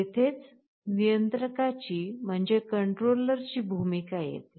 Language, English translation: Marathi, This is where the role of the controller comes in